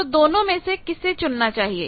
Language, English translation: Hindi, Now, which one is preferable